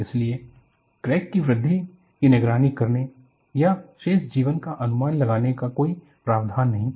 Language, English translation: Hindi, So, there was no provision to monitor the growth of a crack or predict the remaining life